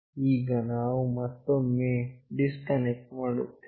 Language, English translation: Kannada, Now, I will again disconnect